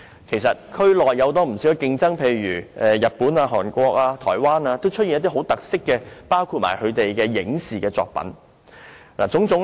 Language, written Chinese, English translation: Cantonese, 其實，區內有不少競爭，例如日本、韓國和台灣也推出了很多具特色的本地影視作品。, As a matter of fact there is keen competition in the region . For example Japan Korea and Taiwan have published many movie and television works with local characteristics